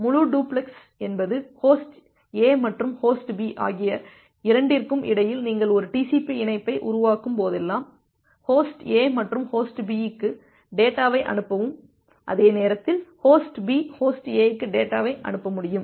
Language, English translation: Tamil, And full duplex means both host A and host B whenever you are making a TCP connection between them, host A and send data to host B and at the same time host B will be able to send data to host A